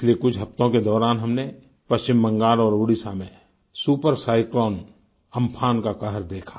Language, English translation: Hindi, During the last few weeks, we have seen the havoc wreaked by Super Cyclone Amfan in West Bengal and Odisha